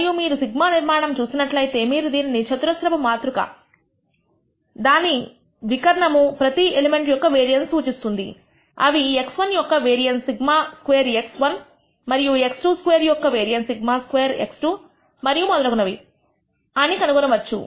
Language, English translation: Telugu, And if you look at the structure of sigma you will find that it is a square matrix with the diagonally elements representing the variance of each of the elements that is sigma squared x 1 is the variance of x 1 and sigma squared x 2, the variance of x 1 and so on, so forth